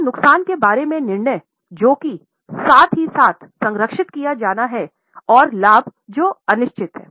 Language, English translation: Hindi, So, the judgment about the losses which are to be guarded as well as the gains which are uncertain